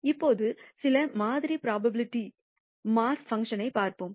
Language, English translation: Tamil, Now, let us look at some sample probability mass functions